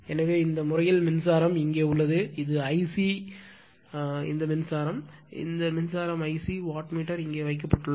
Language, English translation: Tamil, So, in this case your , current is here it is I c this current is your I c right , this current is I c right the , wattmeter is placed here